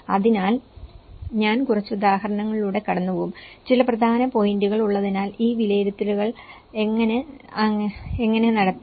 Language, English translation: Malayalam, So, there has been so I will go through a few examples and as there are some important points and how this assessment has been conducted